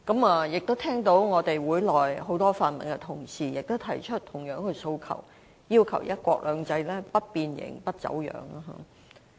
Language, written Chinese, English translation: Cantonese, 我聽到本會內很多泛民同事也提出同樣的訴求，要求"一國兩制"的實踐不變形、不走樣。, I have also heard many Honourable colleagues from the pan - democratic camp in this Council say something similar demanding that the implementation of one country two systems should not be deformed or distorted